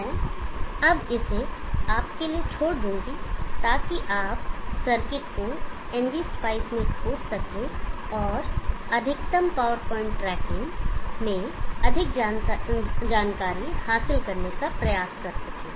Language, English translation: Hindi, I will now leave it to you for you to explore the circuit in NG spice and try to gain more inside into maximum power point tracking